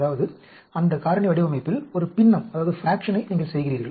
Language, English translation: Tamil, That means you do a fraction of the factorial design